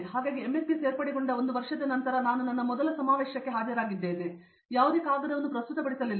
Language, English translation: Kannada, So, I attended my first conference after one year after joining MS and I just attended it I did not present any paper